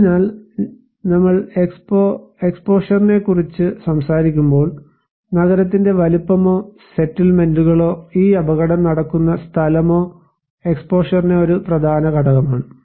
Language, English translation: Malayalam, So, when we are talking about the exposure, the size of the city or the settlements and where this hazard will take place is one important component of exposure